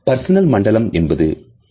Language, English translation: Tamil, 2 meter, the personal zone is 1